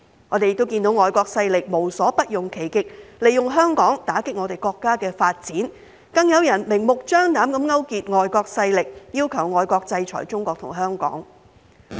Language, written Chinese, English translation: Cantonese, 我們看到外國勢力無所不用其極，利用香港打擊我們國家的發展，更有人明目張膽地勾結外國勢力，要求外國制裁中國和香港。, We have seen foreign forces going to absurd lengths and using Hong Kong as a means to undermine the development of our country . Some people have even blatantly colluded with foreign forces to demand foreign countries to sanction China and Hong Kong